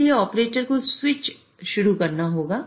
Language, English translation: Hindi, So the operator has to start the switch